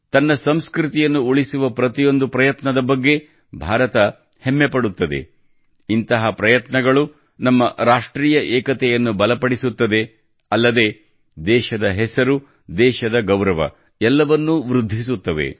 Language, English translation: Kannada, India is proud of every such effort to preserve her culture, which not only strengthens our national unity but also enhances the glory of the country, the honour of the country… infact, everything